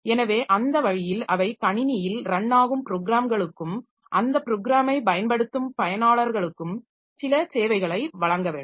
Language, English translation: Tamil, So that way they must provide certain services to both the programs that are running in the system and the users for those programs